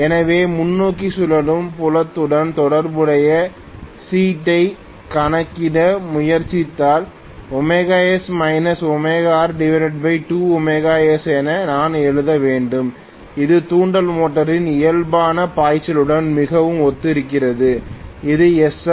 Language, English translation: Tamil, So, if I try to calculate the slip corresponding to forward rotating field I should write omega s minus omega r divided by 2 omega S which is very similar to the normal flux of the induction motor, which is SF itself